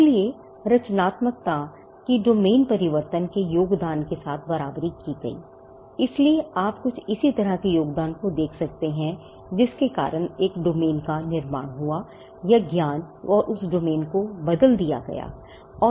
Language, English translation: Hindi, So, creativity came to be equated with domain changing contributions, so you could look at some similar contribution that led to creation of a domain or changing the knowledge and that domain